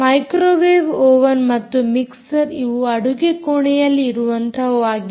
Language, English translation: Kannada, so microwave oven and mixer are mixer, grinder are typically those which are inside kitchen